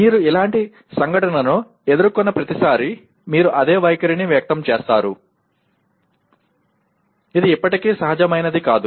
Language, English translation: Telugu, That is every time you confront the similar event, you express the same attitude rather than, it is not natural still